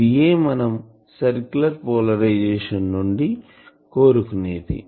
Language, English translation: Telugu, So, this is the demand for circular polarisation